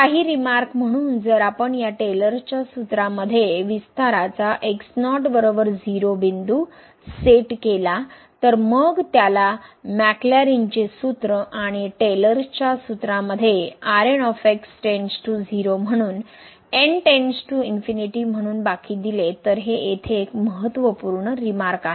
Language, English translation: Marathi, Some remarks so if we set is equal to 0 point of expansion in this Taylor’s formula then it is called the Maclaurin’s formula and in the Taylor’s formula if it is reminder goes to 0 as goes to infinity, so this is an important remark here